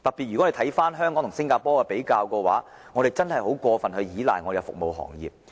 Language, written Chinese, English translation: Cantonese, 若將香港與新加坡比較，我們會發現香港真的過於倚賴服務行業。, If we compare Hong Kong with Singapore we will find that Hong Kong has been relying too heavily on the service sector